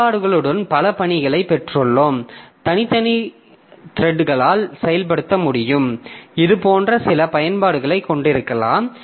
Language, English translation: Tamil, So we have got multiple tasks with applications can be implemented by separate threads